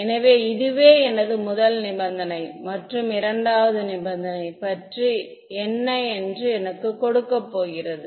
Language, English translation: Tamil, So, this is the first condition; what about the second condition its going to give me